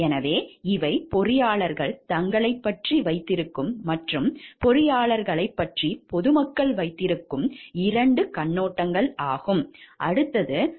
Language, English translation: Tamil, So, these are 2 viewpoints which the engineers have about themselves and what the public at large have about the engineers